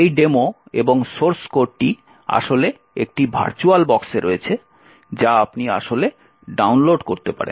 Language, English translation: Bengali, This demo and the source code is actually present in a virtualbox which you can actually download